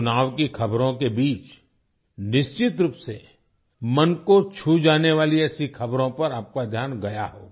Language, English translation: Hindi, Amidst the news of the elections, you certainly would have noticed such news that touched the heart